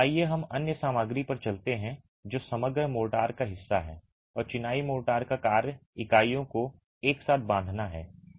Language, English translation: Hindi, Let's move on to the other material which is part of the composite, the mortar and the function of the masonry motor is to bind the units together